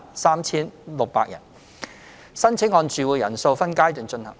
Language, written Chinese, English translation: Cantonese, 申請按住戶人數分階段進行。, Applications are handled in phases according to the household size